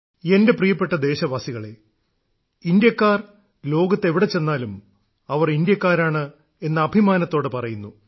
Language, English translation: Malayalam, My dear countrymen, when people of India visit any corner of the world, they proudly say that they are Indians